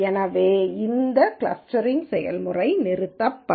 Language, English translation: Tamil, So, this clustering procedure stops